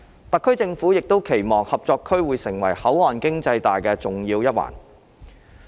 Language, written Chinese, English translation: Cantonese, 特區政府亦期望合作區會成為口岸經濟帶的重要一環。, The SAR Government also expects the Co - operation Zone to become an essential component of the port economic belt